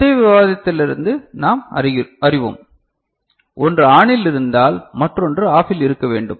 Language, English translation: Tamil, And we know that from the previous discussion if one is ON, then the other one needs to be OFF right